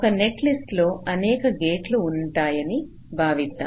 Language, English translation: Telugu, so we consider a netlist consist of a number of gates